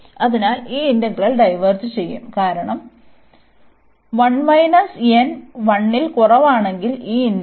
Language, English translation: Malayalam, And this integral diverges, when n is less than equal to 0